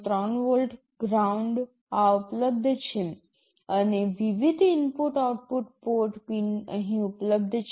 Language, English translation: Gujarati, 3 volts, ground these are available, and different input output port pins are available here